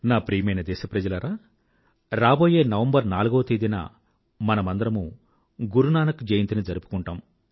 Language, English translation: Telugu, My dear countrymen, we'll celebrate Guru Nanak Jayanti on the 4th of November